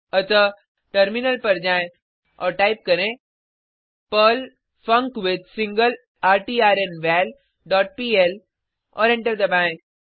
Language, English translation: Hindi, So, switch to terminal and type perl funcWithSingleRtrnVal dot pl and press Enter